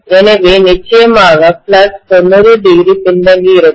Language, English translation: Tamil, So definitely the flux will also be 90 degree lagging